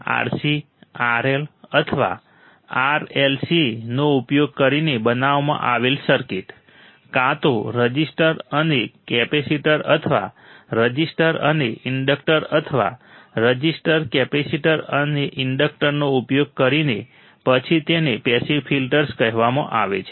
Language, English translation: Gujarati, The circuits built using RC, RL, or RLC, either using the resistor and capacitor, or resistor and inductor, or resistor capacitor and an inductor then these are called the passive filters